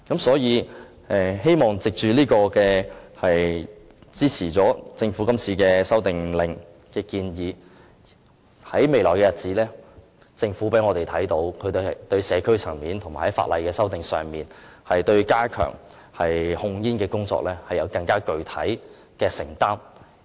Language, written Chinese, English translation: Cantonese, 所以，希望藉着支持政府《修訂令》的建議，在未來的日子，我們可以看到政府在社區層面和法例修訂上，對加強控煙工作更有具體的承擔。, Hence through supporting the proposals put forward in the Amendment Order I hope we will see the Government make more specific commitment to stepping up tobacco control at the community level and in introducing legislative amendments in the future